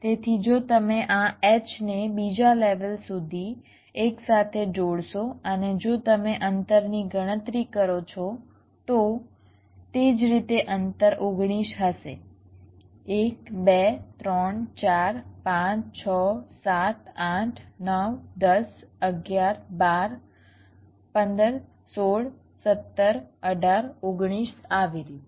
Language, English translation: Gujarati, so so if you construct this h up to another level and if you calculate the distance similarly, the distance will be nineteen: one, two, three, four, five, six, seven, eight, nine, ten, eleven, twelve, fifteen, sixteen, seventeen, eighteen, nineteen, like this